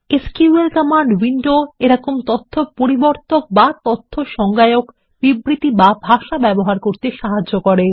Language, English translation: Bengali, And the SQL command window helps us to use such data manipulation and data definition statements or language